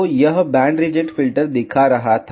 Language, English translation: Hindi, So, it was showing the band reject filter